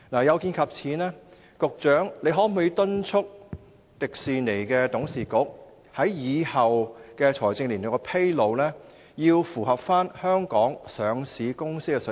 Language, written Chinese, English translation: Cantonese, 有見及此，局長可否敦促迪士尼董事局，日後在財政年度披露財務狀況時，必須追上香港上市公司的水平。, In view of this can the Secretary urge the Board of Directors of Disneyland to keep up with the standard of Hong Kong listed companies when disclosing its financial situation in the future?